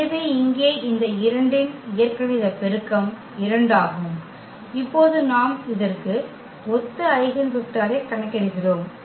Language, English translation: Tamil, So, here the algebraic multiplicity of this 2 is 2 and now we compute the eigenvector corresponding to this